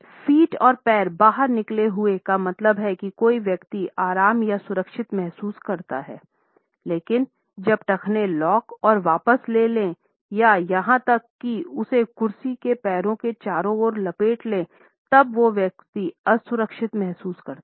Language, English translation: Hindi, Feet and legs outstretched means that someone feels comfortable or secure, but when ankles lock and withdraw or even wrap around the legs of the chair that person feels insecure or left out